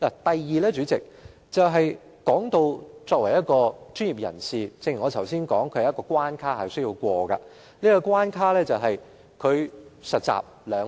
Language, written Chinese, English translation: Cantonese, 第二，代理主席，正如我剛才所說，作為一名專業人士，大律師必須通過一道關卡，就是實習兩年。, Secondly Deputy President as I said just now as a professional the first requirement a barrister has to meet is to get two years training to become a solicitor